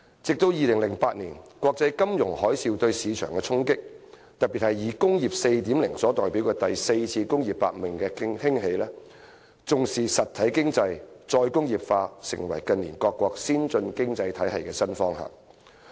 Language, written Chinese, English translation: Cantonese, 後來，鑒於2008年國際金融海嘯對市場的衝擊，特別是以工業 4.0 所代表的第四次工業革命的興起，重視"實體經濟"、"再工業化"成為近年各個先進經濟體系的新方向。, Subsequently in recent years given the impact of the 2008 global financial tsunami on the market and in particular the rise of the fourth industrial revolution represented by Industry 4.0 various advanced economies have moved in the new direction of attaching importance to the real economy and re - industrialization